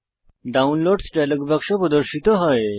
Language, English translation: Bengali, The Downloads dialog box appears